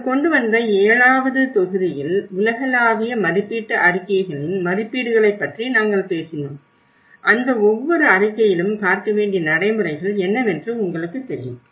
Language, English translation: Tamil, Then in the seventh module we brought about, we talked about the assessments you know the global assessment reports and you know what are the procedures one has to look at it, each report have